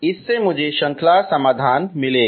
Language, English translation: Hindi, That will give me the series solution